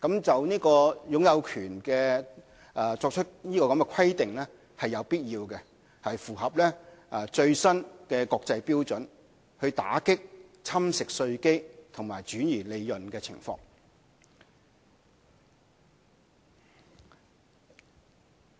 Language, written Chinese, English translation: Cantonese, 就擁有權作出規定是有必要的，是符合最新的國際標準，用以打擊侵蝕稅基和轉移利潤的情況。, The ownership requirement is necessary so as to ensure compliance with the latest international standards to combat base erosion and profit shifting BEPS